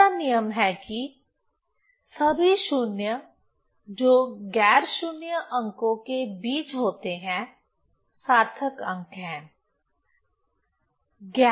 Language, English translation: Hindi, Second rule is all zeros occurring between non zero digits are significant figures